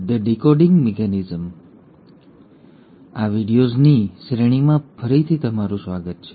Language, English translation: Gujarati, So, hi and welcome again to these series of videos